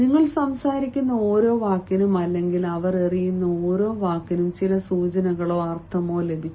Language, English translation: Malayalam, every word that you speak or every word that they throw, they have got some sort of indication, some sort of meaning you're